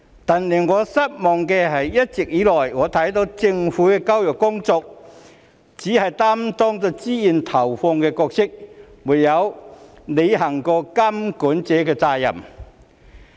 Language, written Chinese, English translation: Cantonese, 但令我失望的是，一直以來，我看到政府在教育工作中只是擔當投放資源的角色，沒有履行過監管者的責任。, Nevertheless what disappoints me is that the Government as I have observed all along merely plays the role of a provider of resources in education and has never fulfilled its responsibilities as a regulator